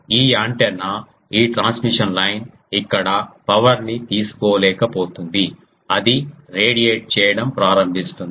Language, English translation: Telugu, This antenna this transmission line won't be able to take the power here it will start radiating